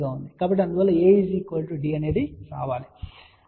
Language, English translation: Telugu, So, hence A should be equal to D